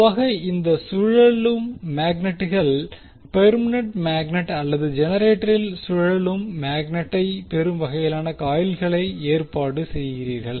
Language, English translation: Tamil, So, generally these rotating magnets are either permanent magnet or you arrange the coils in such a way that you get the rotating magnet in the generator